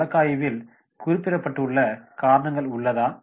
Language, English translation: Tamil, Are the reasons mentioned in the case study